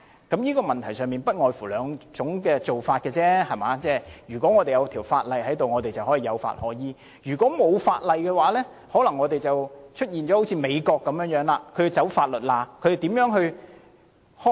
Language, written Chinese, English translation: Cantonese, 在這問題上，其實不外乎兩種做法：如果有法例，我們便有法可依；如果沒有法例，香港便可能會像美國般，要鑽法律空子。, In this connection there are only two alternatives . If there is legislation we can act in accordance with the law; and if there is no legislation Hong Kong may have to exploit legal loopholes like the United States